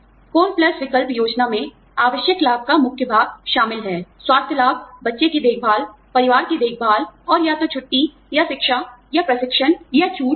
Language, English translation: Hindi, Core plus option plans, consists of a core of essential benefits, health benefits, child care, family care, and either, vacation, or education, or training, or discounts, etcetera